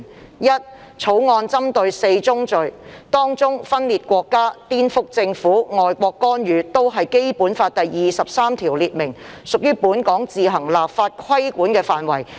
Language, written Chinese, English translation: Cantonese, 第一，《決定》針對4宗罪，當中分裂國家、顛覆政府、外國干預均是《基本法》第二十三條列明，屬於本港自行立法規管的範圍。, First the draft Decision will target four offences among which secession subversion of state power and foreign intervention fall within the scope of the legislation to be enacted by Hong Kong on its own under Article 23 of the Basic Law